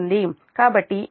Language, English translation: Telugu, so this should be your j zero